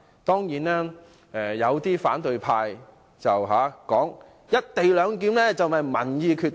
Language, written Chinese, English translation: Cantonese, 當然，有反對派指"一地兩檢"應由民意決定。, Of course some Members of the opposition camp said that the co - location arrangement should be decided by public opinion